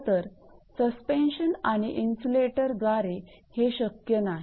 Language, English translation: Marathi, In fact, this is not possible with suspension and insulators